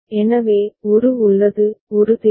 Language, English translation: Tamil, So, a is there, a is required